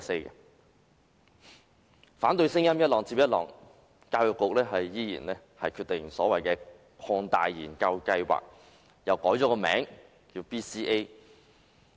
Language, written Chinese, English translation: Cantonese, 儘管反對聲音浪接浪，教育局仍堅持推出所謂的擴大研究計劃，並將之易名為 BCA。, Despite the waves of dissenting voices the Education Bureau insisted on extending the so - called Research Study and renamed it as the Basic Competency Assessment BCA